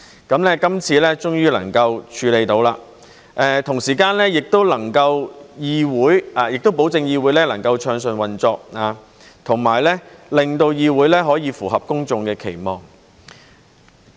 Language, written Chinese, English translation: Cantonese, 今次終於能夠處理，同時也能夠保證議會能夠暢順運作，以及令議會可以符合公眾的期望。, We can finally tackle the problem this time and ensure that the Council can operate smoothly and meet the publics expectations